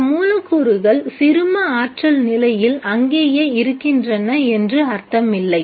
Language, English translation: Tamil, It doesn't mean that the molecules which are in the ground state stay there